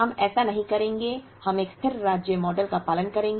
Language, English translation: Hindi, We will not do that; we will follow a steady state model